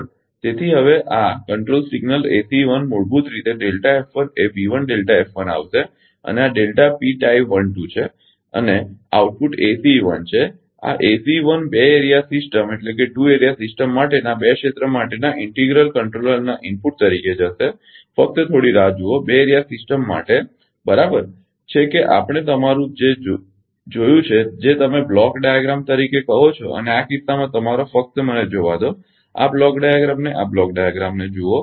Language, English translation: Gujarati, So, now this control signal ACE 1 will be basically then then delta F 1 will come into B 1 and this is delta P tie 1 2 and output is ACE 1; this ACE 1 will go as an input to the integral controller for two area ah for two area system just hold on for two area system , right that we have seen the your what you call the block diagram and in this case your just a just let me see the this block diagram ah this block diagram